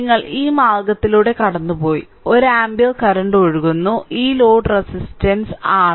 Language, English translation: Malayalam, So, that you got through this that means, 1 ampere current is flowing through, this load resistance R L